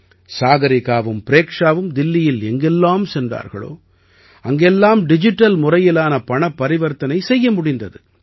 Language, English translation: Tamil, Wherever Sagarika and Preksha went in Delhi, they got the facility of digital payment